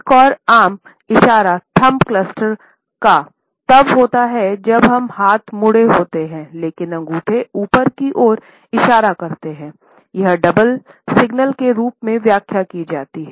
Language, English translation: Hindi, Another common thumb cluster is when arms are folded, but thumbs are pointing upwards, this is interpreted as a double signal